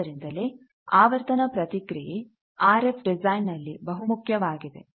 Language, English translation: Kannada, So, that is why frequency response is a very useful thing for RF design